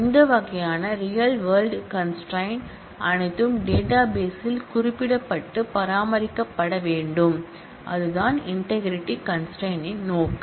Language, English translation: Tamil, All these kinds of real world constraints need to be represented and maintained in the database and that is the purpose of the integrity constraint